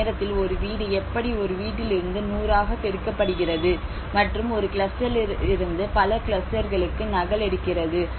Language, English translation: Tamil, How one household at a time the multiplication from one household to a 100 and the replication from one cluster to many clusters